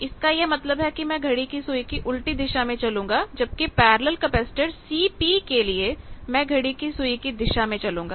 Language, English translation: Hindi, This means I am going in the anti clockwise direction whereas, for A C P parallel capacitor in parallel branch I am coming clockwise